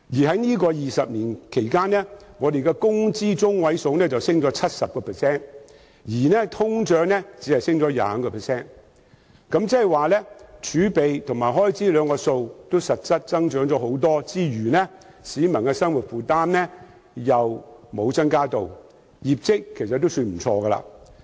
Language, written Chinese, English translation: Cantonese, 在這20年間，工資中位數上升 70%， 但通脹只上升 25%， 換言之，儲備和開支數字實際增加不少，但市民的生活負擔沒有增加，業績尚算不錯。, Over the past 20 years the median wage has increased by 70 % while inflation has only increased by 25 % ; in other words the amounts of reserve and expenditure have actually increased substantially but peoples livelihood burden has not increased so the performance is pretty good